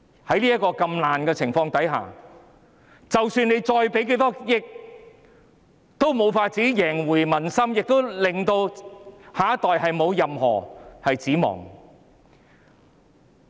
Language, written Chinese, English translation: Cantonese, 在這麼"爛"的情況下，即使政府撥出多少億元也無法贏回民心，亦令下一代沒有任何指望。, In such a rotten state no matter how many hundreds of millions of dollars are given out by the Government it cannot win back the peoples hearts and the next generation does not harbour any expectations either